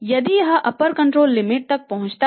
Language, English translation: Hindi, This is the upper control limit